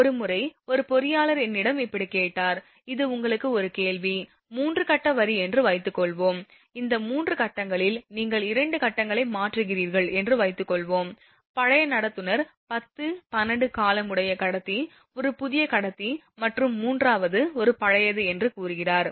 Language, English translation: Tamil, Once, one engineer asked me something like this, suppose your 3 phase line this is a question to you, 3 phase line; suppose out of this 3 phases say your putting 2 phases, suppose you are replacing 2 phases the old conductor say 10, 12 years old conductor, a new conductor and third one is an old one